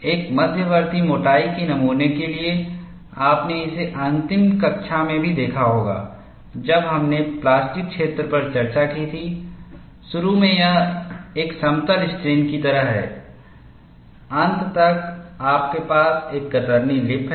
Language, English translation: Hindi, You see, for an intermediate thickness specimen, you would also have seen it in the last class, when we discussed plastic zone, initially it is like a plane strain, and towards the end, you have a shear lip